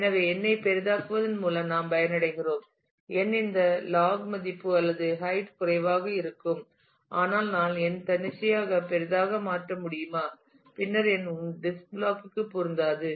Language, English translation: Tamil, So, we benefit by making n larger, larger the n this log value or the height will be less, but can I make n arbitrary large then n will not fit into one disk block